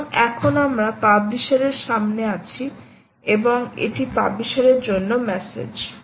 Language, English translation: Bengali, alright, so now we are in front of the publisher and this is the message for the publisher